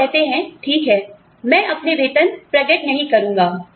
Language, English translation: Hindi, You say, okay, I will not disclose my pay